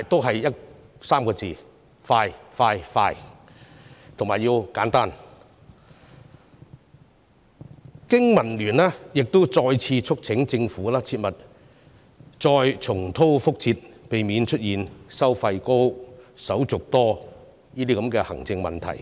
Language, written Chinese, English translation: Cantonese, 3個字：快、快、快，以及要簡單。經民聯亦再次促請政府切勿重蹈覆轍，要避免出現收費高、手續多的行政問題。, Also BPA has again urged the Government not to repeat the same mistake and to avoid the administrative problems of high cost and cumbersome procedures